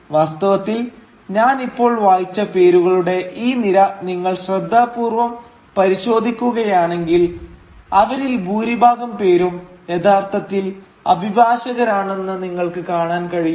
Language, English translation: Malayalam, Indeed, if you carefully go through this list of names that I have just read out, you will see that most of them were actually trained as barristers